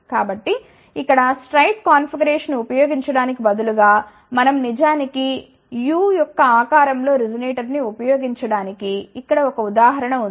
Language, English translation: Telugu, So, here is an example where instead of using straight configuration, we have actually use U shaped resonator